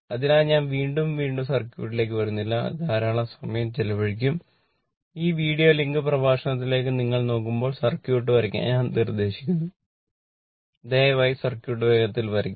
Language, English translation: Malayalam, So, again and again I have not come to the circuit then it will consume lot of time, I will suggest please draw this when you look this look into this videolink lecture, you pleaseyou please draw the circuit faster